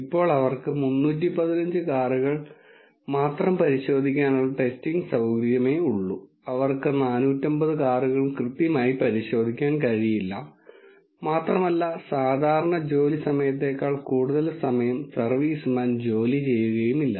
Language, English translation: Malayalam, Now, since they have the testing facility for testing only 315 cars, they will not be able to check all the 450 cars very thoroughly and the servicemen will not work longer than the normal working hours